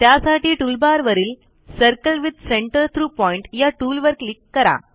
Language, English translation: Marathi, To do this click on the Circle with Centre through Point tool